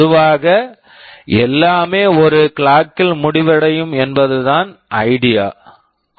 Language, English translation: Tamil, The idea is that normally everything finishes in one clock